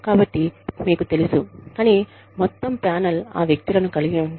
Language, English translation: Telugu, So, you know, but then, if the entire panel, consists of those people